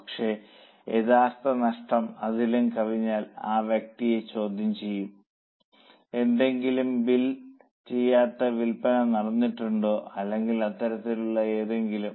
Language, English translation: Malayalam, But if actual loss exceeds that, then the person will be questioned whether there was any unbuilt sale or something like that